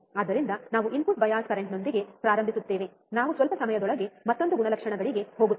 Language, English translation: Kannada, So, we will start with input bias current we will go to another characteristics in a short while